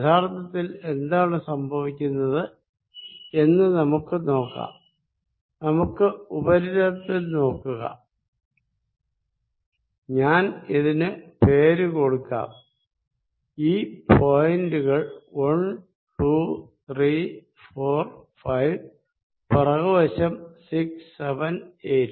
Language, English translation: Malayalam, Let us really see what happens, let us look at the surface let me name it 1, 2, 3, 4, 5 in the backside 6, 7 and 8